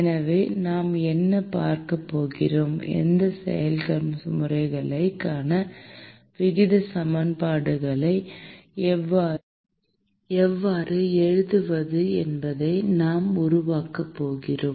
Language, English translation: Tamil, So, what we are going to see is we are going to develop, how to write the rate equations for these processes